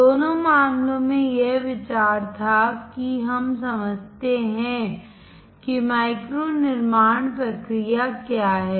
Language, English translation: Hindi, In both the cases, the idea was that we understand what micro fabrication process is